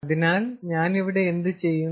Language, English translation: Malayalam, ok, so what do i have to do